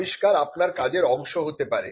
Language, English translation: Bengali, Inventions could pop up as a part of your job